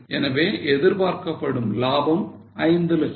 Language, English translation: Tamil, So, estimated profit is 5 lakhs